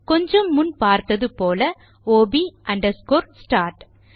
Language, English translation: Tamil, So as you saw a minute ago that is ob underscore start